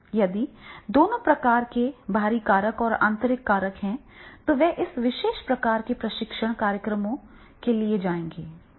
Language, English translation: Hindi, If the both the type of the extrinsic factors and intrinsic factors are there, then they will be going for this particular type of the training programs